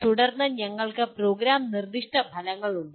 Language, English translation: Malayalam, And then we have Program Specific Outcomes